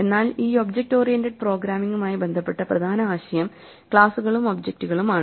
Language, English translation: Malayalam, In the terminology of object oriented programming there are two important concepts; Classes and Objects